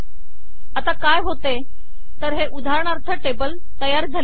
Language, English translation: Marathi, So what happens is now this is an example table